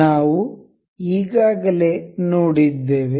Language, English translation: Kannada, We have already seen